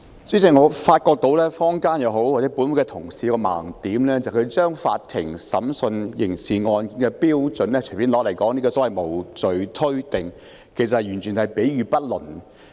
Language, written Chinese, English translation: Cantonese, 主席，我發覺不論是坊間或本會的同事均有一個盲點，就是他們將法庭審訊刑事案件的標準隨便拿來說，提出所謂無罪推定，其實完全是比喻不倫。, President I find that both the people in the community and the Honourable colleagues in this Council have a blind spot in that they have made casual reference to the standards of court trials of criminal cases advancing the so - called presumption of innocence . In fact it is a completely improper analogy